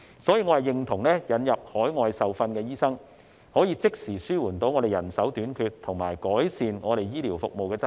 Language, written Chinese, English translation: Cantonese, 所以，我認同引入海外受訓的醫生，可以即時紓緩人手短缺和改善醫療服務的質素。, Hence I agree that the importation of overseas - trained doctors can immediately alleviate the manpower shortage and improve the quality of healthcare services